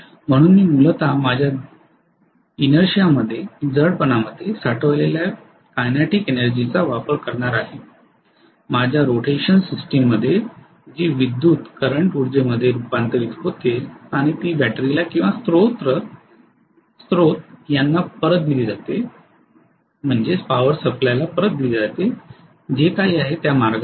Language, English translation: Marathi, So I am essentially using the kinetic energy stored in my inertia, in my rotational system that is being converted into electrical energy and that is being fed back to the battery or the source in whatever way it is